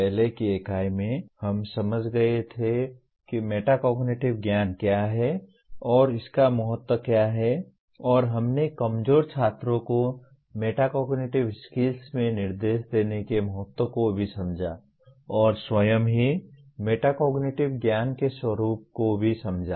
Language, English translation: Hindi, In the earlier unit we understood what metacognitive knowledge is and its importance and also we understood the importance of giving instruction in metacognitive skills to weaker students and also understood the nature of the metacognitive knowledge itself